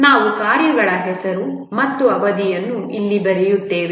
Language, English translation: Kannada, We write the name of the tasks and the durations here